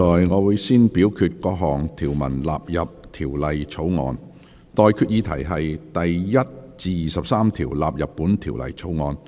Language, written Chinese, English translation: Cantonese, 我現在向各位提出的待決議題是：第1至23條納入本條例草案。, I now put the question to you and that is That clauses 1 to 23 stand part of the Bill